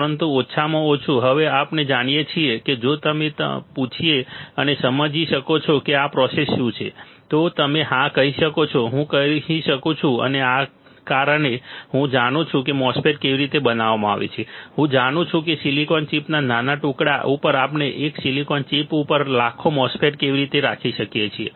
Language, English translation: Gujarati, But at least we know now how if somebody asks you can you understand what is this process flow, you can say yes, I can and because I know how MOSFET is fabricated I know how we can have millions of MOSFET on one silicon chip on a tiny piece of silicon chip right